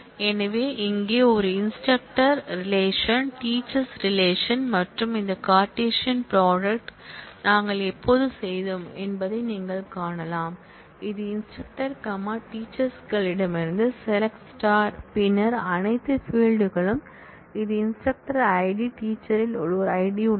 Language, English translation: Tamil, So, here is a instructor relation, the teacher’s relation and as you can see when we have done this cartesian product, that is select star from instructor comma teachers, then all fields this is an ID of the instructor, there is an ID in teachers